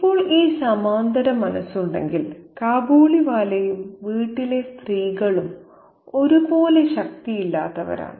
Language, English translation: Malayalam, Now, if we have this parallel in mind, the Kabiliwala and the women of the household are also equally powerless